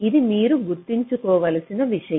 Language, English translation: Telugu, you have to remember this